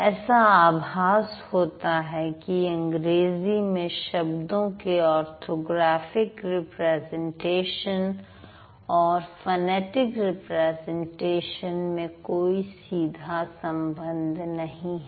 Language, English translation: Hindi, It seems that it doesn't like we it seems there is no straight away connection between the orthographic representation and the phonetic representation of the words